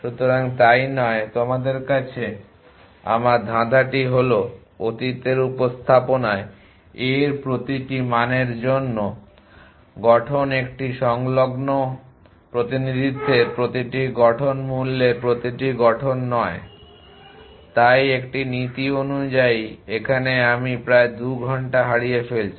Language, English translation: Bengali, So, not so is my poser to you in the past representation every formation in the value to a in adjacency representation is not every formation in the value to so is an in conscience here I am losing out on some 2 hours here